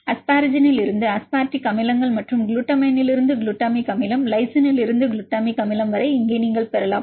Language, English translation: Tamil, And also you can get the here you can see the asparagine to aspartic acids and the glutamine to glutamic acid lysine to glutamic acid